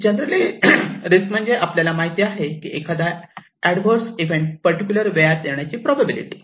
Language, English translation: Marathi, Now, risk in general, we know the probability of a particular adverse event to occur during a particular period of time